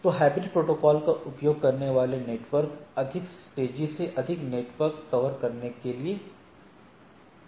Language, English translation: Hindi, So, networks using hybrid protocol tend to cover more converge more quickly and so and so forth